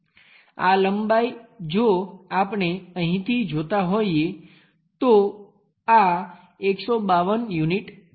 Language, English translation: Gujarati, This length if we are looking from here all the way there this is 152 units